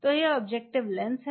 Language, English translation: Hindi, So, this is the objective lens